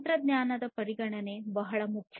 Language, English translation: Kannada, So, technology considerations are very important